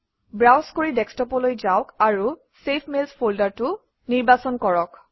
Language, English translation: Assamese, Browse for Desktop and select the folder Saved Mails.Click Save